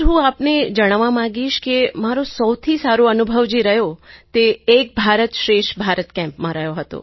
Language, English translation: Gujarati, Sir, I would like to share my best experience during an 'Ek Bharat Shreshth Bharat' Camp